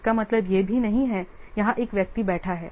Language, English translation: Hindi, That means here one person is sitting